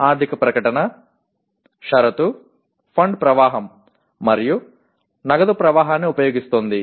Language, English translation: Telugu, The financial statement, the condition is using fund flow and cash flow